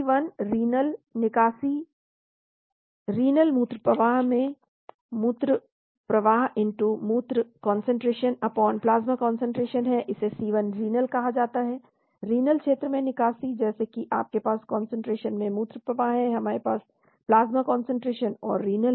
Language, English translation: Hindi, Cl renal, clearance renal is urine flow into urine flow*urine concentration/plasma concentration, this is called Cl renal, clearance in the renal region, like you have urine flow in concentration, you have plasma concentration and renal